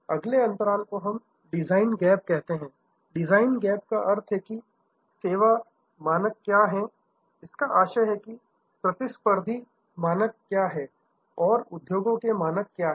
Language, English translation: Hindi, The next gap is call the design gap, the design gap means, what the service standards are; that means, what the competitive standards are or what the industries standards are